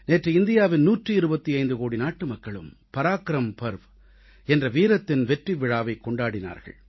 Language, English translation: Tamil, Yesterday, one hundred and twentyfive crore Indians celebrated the ParaakramParva, the festival of Valour